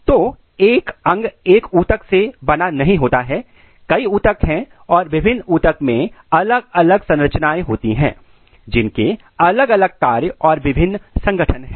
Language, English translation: Hindi, So, one organ is not made up of a single tissue there are multiple tissue and different tissue has different structure, different function, different organization